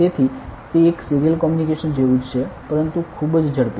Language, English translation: Gujarati, So, it is like; a serial communication only, but with very high speed